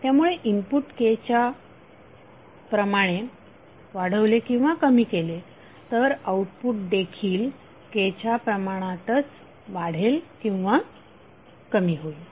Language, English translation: Marathi, So if input is increased or decreased by constant K then output will also be increase or decrease by the same constant K